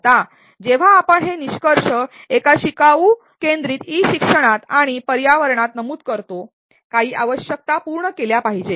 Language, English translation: Marathi, Now, when we state these performance outcomes in a learner centric e learning and environment, few requirement should be met